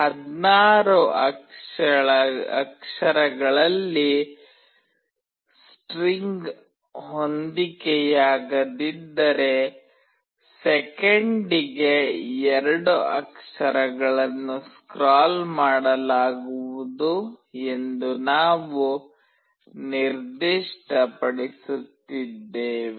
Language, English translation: Kannada, We are specifying that 2 characters will be scrolled per second if the string does not fit in 16 characters